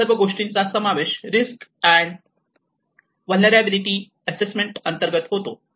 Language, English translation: Marathi, So, all these things will come under within the risk and vulnerability assessment